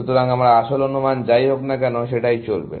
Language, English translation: Bengali, So, whatever was my original estimate, will continue there, essentially